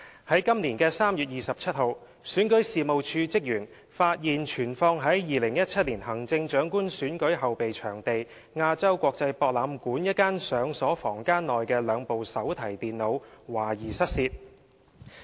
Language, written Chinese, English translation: Cantonese, 在今年3月27日，選舉事務處職員發現存放在2017年行政長官選舉後備場地亞洲國際博覽館一間上鎖房間內的兩部手提電腦懷疑失竊。, On 27 March this year REO staff found that two notebook computers stored in a locked room in AsiaWorld - Expo the fallback venue of the 2017 Chief Executive Election were suspected to be stolen